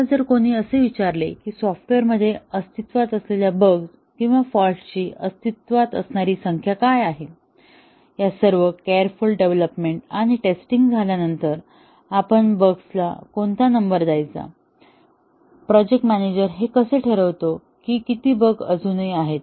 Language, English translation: Marathi, Now, if somebody asks that what is the likely number of bugs or faults that are existing in the software, after all these careful development and testing has been carried out, how do we give a number, how does the project manager determine that how many bugs are still there